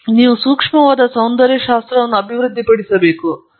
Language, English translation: Kannada, And I think that’s very, very important you have to develop a sensitive aesthetics